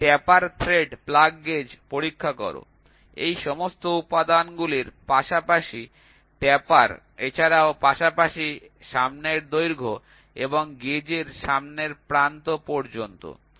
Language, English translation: Bengali, A taper thread plug gauge checks, in addition to all these elements, taper also as well as the length of the front and to the front end to the gauge notch